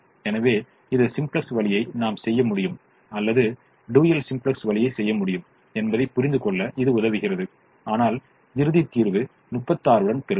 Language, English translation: Tamil, so this also help us understand that we could do either the simplex way or we could do the dual simplex way, but we will get the final solution with thirty six because there is alternate optimum we have